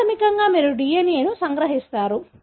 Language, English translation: Telugu, So, basically you extract the DNA